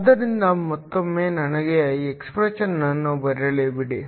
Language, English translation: Kannada, So, once again let me write the expression